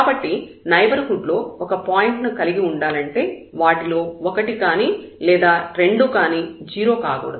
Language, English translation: Telugu, So, to have a point in the neighborhood one of them has to be non zero both of them have to be non zero